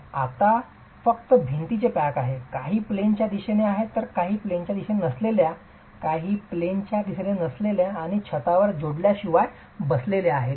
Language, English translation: Marathi, It is now simply a pack of walls, some in the in plane direction, some in the out of plane direction and a roof that is sitting without connections on it